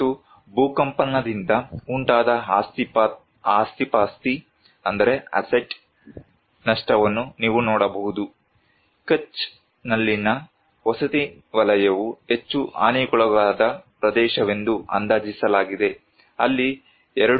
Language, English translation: Kannada, And you can see the asset loss due to earthquake, housing sector is one of the most affected area estimated damage assessment for housing in Kutch was that there were 2